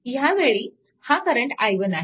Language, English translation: Marathi, So, then what will be i 1